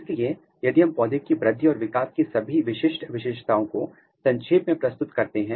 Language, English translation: Hindi, So, if we summarize all the characteristic feature of plant growth and development